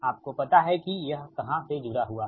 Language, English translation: Hindi, at you know where it is connected, right